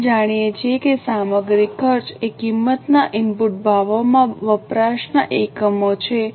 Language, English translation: Gujarati, as we know the material cost is units of consumption into the price, input prices